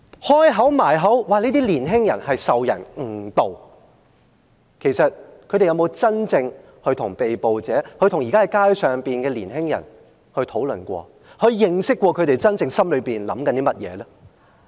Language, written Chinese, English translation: Cantonese, 保皇黨不斷強調這些年輕人是受人誤導，其實他們有沒有真正跟被捕者，跟在街上的年青人討論過，了解過這些年青人心裏的想法呢？, Actually have they ever talked to these arrestees and the young people in the street and tried to understand what is on their minds? . You have not done that because you are not down to earth